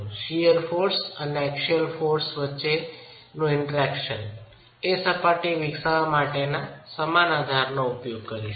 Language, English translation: Gujarati, We will use the same basis to develop the interaction surface between shear forces and axial forces